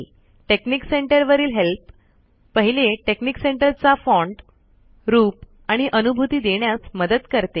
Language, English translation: Marathi, So help on texnic center, the first one gives you help on font, look and feel of texnic center